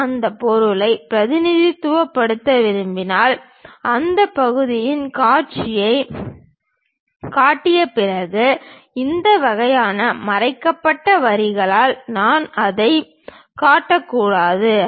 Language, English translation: Tamil, If I want to represent that material, after showing that sectional view I should not just show it by this kind of hidden lines